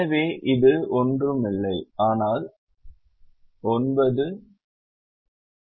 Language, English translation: Tamil, so this one is nothing but nine minus five minus three